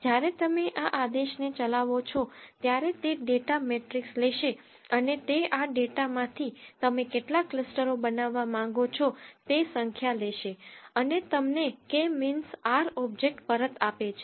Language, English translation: Gujarati, When you execute this command it will take the data matrix and it will take number of clusters you want to build from this data and returns you a k means r object